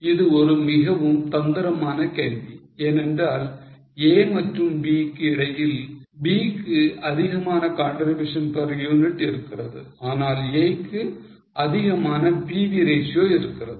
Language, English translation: Tamil, This is a very tricky question because between A and B has more contribution per unit but A has more PV ratio